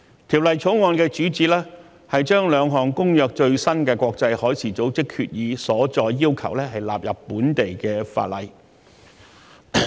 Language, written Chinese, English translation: Cantonese, 《條例草案》的主旨，是按《公約》規定，將國際海事組織兩項最新決議的所載要求納入本地法例。, The Bill seeks to incorporate into local legislation the requirements of two latest IMO resolutions on the Convention